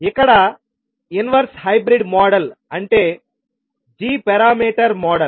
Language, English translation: Telugu, Here the inverse hybrid model that is the g parameter model